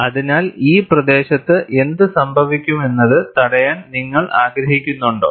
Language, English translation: Malayalam, So, you want to preclude what happens in this region